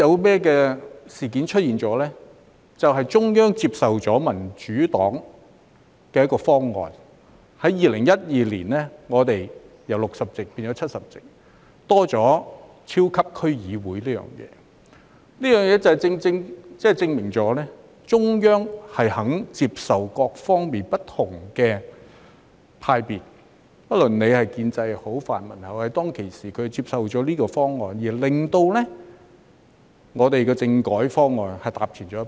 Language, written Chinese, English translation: Cantonese, 便是中央接受民主黨的方案，在2012年，立法會議員由60席變為70席，加入超級區議會，這正正證明中央肯接受不同派別的意見，不論是建制派或泛民派，當時他們接受了這方案，令香港的政改方案踏前一步。, It ended up that the Central Authorities accepted the Democratic Partys proposal of increasing the number of seats in the Legislative Council from 60 to 70 by introducing the super District Council functional constituency in 2012 . This exactly proves that the Central Authorities are willing to accept the views of different camps be it the pro - establishment or the pan - democratic camp . The political reform of Hong Kong has taken a step forward as a result of their acceptance of the proposal at that time